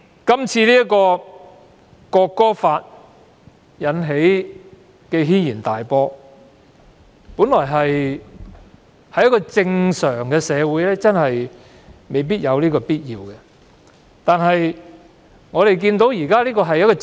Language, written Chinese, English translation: Cantonese, 《條例草案》引起軒然大波，假如我們身處一個正常社會，事情真的未必會發展到這個地步。, The Bill has caused an uproar; the situation really will not develop to such a pass if our society is normal but our society is not normal where arbitrary actions can be taken